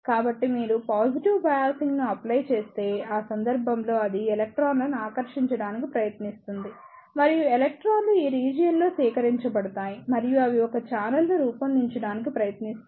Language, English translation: Telugu, So, if you apply a positive bias, in that case it will try to attract the electrons and the electrons will gathers in this region and they will try to form a channel